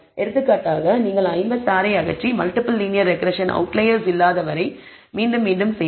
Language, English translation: Tamil, For example, you may want to remove 56 and redo the linear regression multi multiple linear regression and again repeat it until there are no outliers